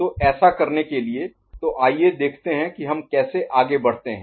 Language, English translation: Hindi, So, to do that, so let us see how we can go ahead